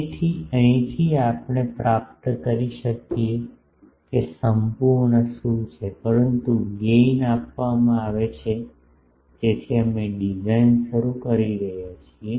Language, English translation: Gujarati, So, from here we can get what is the absolute, but gain is given in so, we are starting the design